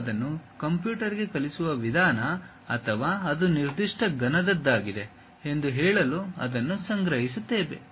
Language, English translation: Kannada, That is the way we teach it to the computer or store it to say that it is of that particular cuboid